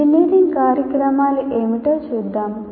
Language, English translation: Telugu, Let's see what engineering programs are